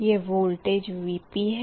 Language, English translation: Hindi, this is vp, vq